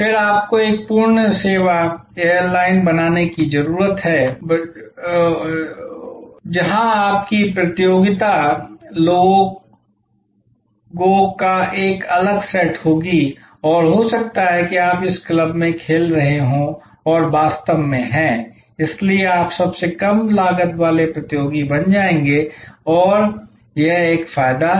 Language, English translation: Hindi, You then may need to become a full service airlines, where your competition will be a different set of people and may be then you will be playing in this club and they are actually therefore, you will become the lowest cost competitor and that will be an advantage